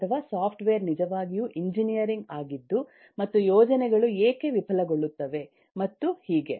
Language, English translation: Kannada, or rather, is software really engineering and why projects fail and so on